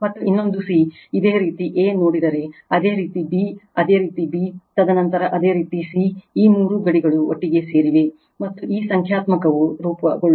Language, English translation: Kannada, And another c if you see a, then your b your b, and then your c, all this three bounds together, and this numerical is formed right